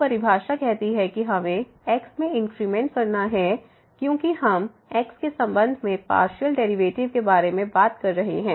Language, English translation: Hindi, So, the definition says that we have to make an increment in x because we are talking about the partial derivative with respect to